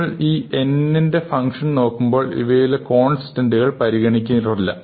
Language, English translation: Malayalam, So, when we look at these functions of n, typically we will ignore constants